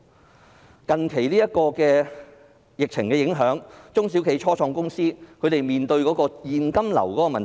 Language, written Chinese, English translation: Cantonese, 受近期的疫情影響，中小企、初創公司面對特別大的現金流問題。, Due to the recent epidemic small and medium enterprises and start - up companies are facing an extremely big problem with cash flow